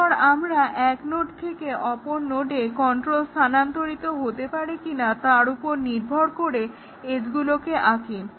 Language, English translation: Bengali, And then, we draw edges depending on whether control can transfer from a node to another node